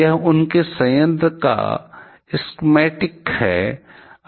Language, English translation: Hindi, This is schematic of their plant